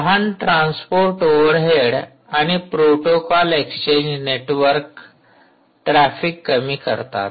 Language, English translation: Marathi, a small transport overhead and protocol exchanges minimize to reduce network traffic